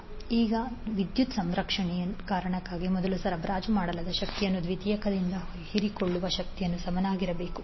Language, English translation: Kannada, Now the for the reason of power conservation the energy supplied to the primary should be equal to energy absorbed by the secondary